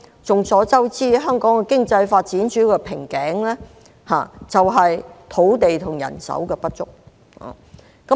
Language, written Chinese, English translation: Cantonese, 眾所周知，香港的經濟發展主要的瓶頸在於土地和人手不足。, It is a well - known fact that the major bottleneck of Hong Kongs economic development is shortage of land and manpower